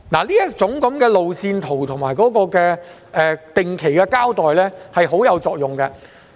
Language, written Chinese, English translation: Cantonese, 這種路線圖及定期交代是相當有作用的。, This kind of road maps and periodical announcements are very useful